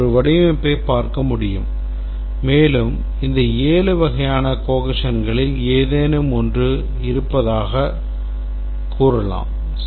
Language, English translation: Tamil, We can look at a design and we can say that it has any one of these seven types of cohesion